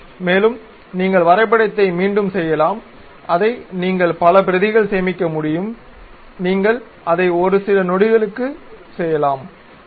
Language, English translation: Tamil, And, you can repeat the drawing you can save it multiple copies you can make it within fraction of seconds and so on, ok